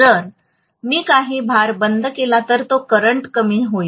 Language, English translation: Marathi, If I switch off some of the loads, the loads are gone then the current is going to decrease